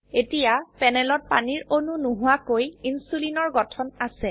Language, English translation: Assamese, Now on panel we have Insulinstructure without any water molecules